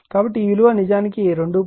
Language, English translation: Telugu, So, it is actually 2